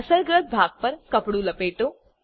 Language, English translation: Gujarati, Roll a cloth on the affected area